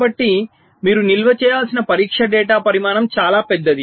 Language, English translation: Telugu, so the volume of test data that you need to store can be pretty huge